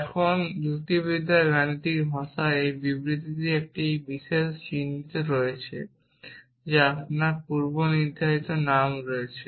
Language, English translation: Bengali, Now, this statement which is in the mathematical language of logic has this particular notation that you have the predicate name